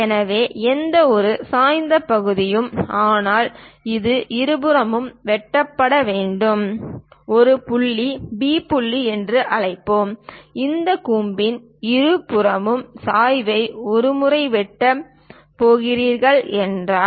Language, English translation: Tamil, So, any inclined section, but it has to cut on both the sides let us call A point, B point; on both sides of this cone if it is going to cut the slant once